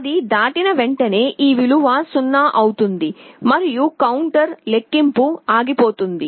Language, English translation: Telugu, As soon as it crosses, this value will become 0 and the counter will stop counting